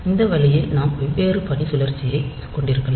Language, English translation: Tamil, So, this way we can have different duty cycle